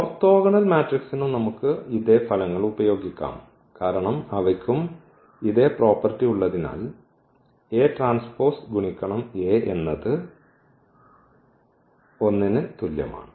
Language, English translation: Malayalam, Same results we can also use for the orthogonal matrices because they are also having the same property a transpose A is equal to I